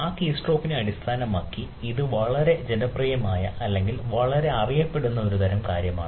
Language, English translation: Malayalam, so ah, based on that keystroke and ah, this is a very popular ah or very well known type of things